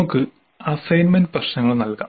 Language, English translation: Malayalam, Then we can have assignment problems